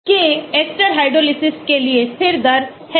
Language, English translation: Hindi, k is the rate constant for ester hydrolysis